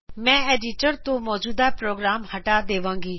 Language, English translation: Punjabi, I will clear the current program from the editor